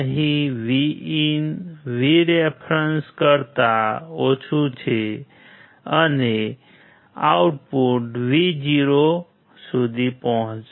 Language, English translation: Gujarati, Here VIN is less than VREF and output will reach to 0V